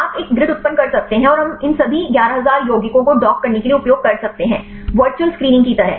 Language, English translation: Hindi, You can generate a grid and we can use all these 11000 compounds to dock; kind of virtual screening